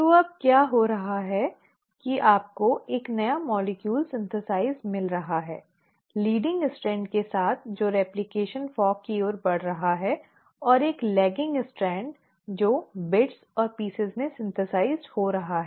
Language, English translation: Hindi, So what is happening now is that you are getting a new molecule synthesised, with the leading strand which is moving towards the replication fork and a lagging strand which is getting synthesised in bits and pieces